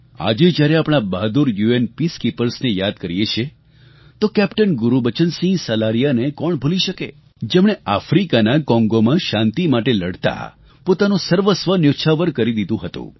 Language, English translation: Gujarati, While remembering our brave UN Peacekeepers today, who can forget the sacrifice of Captain Gurbachan Singh Salaria who laid down his life while fighting in Congo in Africa